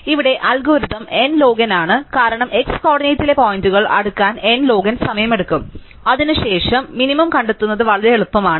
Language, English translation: Malayalam, So, here the algorithm is n log n, because it takes n log n times to sort the points in x coordinate, after that finding the minimum is actually very easy